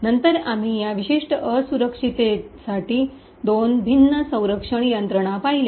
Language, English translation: Marathi, Later on, we see two different mechanisms for this particular vulnerability